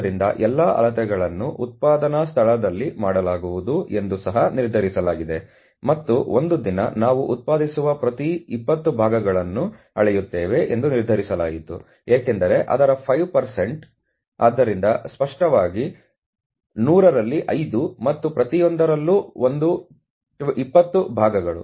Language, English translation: Kannada, So, it has been also decided that all measurements would be made at a place of production, and it was decided that a day part we measured every 20 parts produced, because its 5%, so obviously, out of 100 5 out of 100 and one in every 20 parts